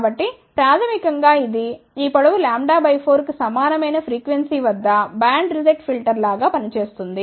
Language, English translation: Telugu, So, basically it will act as a band reject filter at a frequency where this length is equal to lambda by 4